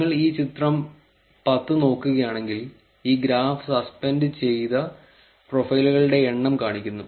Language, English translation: Malayalam, If you look at this figure 10, this graph shows the number of suspended profiles